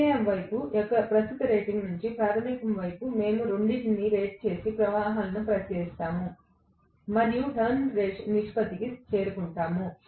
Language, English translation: Telugu, From the current rating of the secondary side to the primary side, we look at both of them rated currents and then arrive at the number of Turns ratio